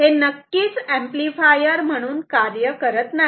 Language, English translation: Marathi, This will not work definitely as an amplifier ok